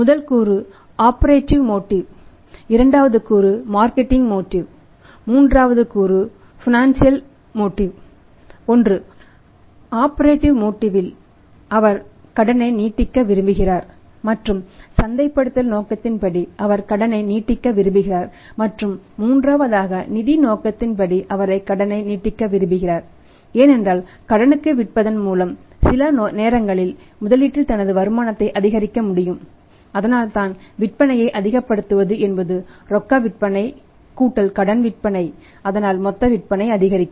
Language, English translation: Tamil, One is from the operations point of view he want to extend the credit and other is for the marketing point of you he want to extend the credit and third one is the from the financial angle he wants to extend the credit because by say selling on credit sometime he can maximize his return on investment that is why maximizing the sales when he is selling on cash + credit that total sales go up